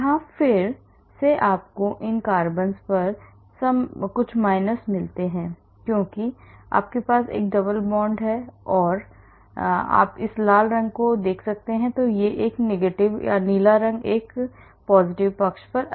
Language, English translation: Hindi, Here again you get some minus on these carbons because you have a double bond and you see this red color red color that is negative the blue color is more on the positive side